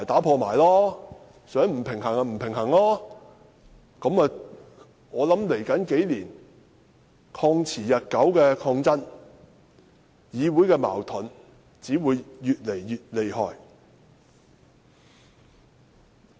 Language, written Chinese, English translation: Cantonese, 我想在未來數年，"曠持日久"的抗爭、議會的矛盾只會越來越厲害。, Meanwhile I think protracted protests will surely ensue in the next few years and clashes in the Council will only worsen